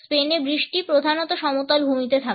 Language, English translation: Bengali, The rain in Spain stays mainly in the plane